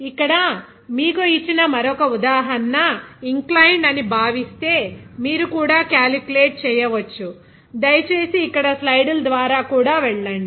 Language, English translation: Telugu, Another example here given if it is supposed inclined to you, also you can calculate, please go through the slides here also